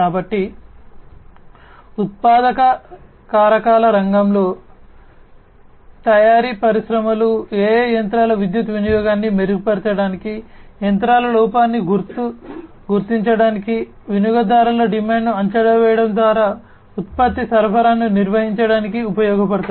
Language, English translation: Telugu, So, in the manufacturing factors sector, manufacturing industries AI could be used to improve machines power consumption, detection of machinery fault, maintaining product supply by predicting consumer demand